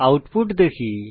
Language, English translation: Bengali, Let us see the output